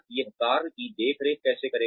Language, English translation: Hindi, How it will supervise the work